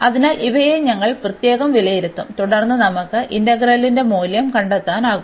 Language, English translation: Malayalam, So, we will evaluate these integral separately and then we can find the value of the integral